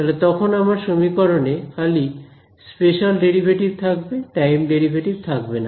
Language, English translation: Bengali, Then all my equations have only spatial derivatives, the time derivatives have gone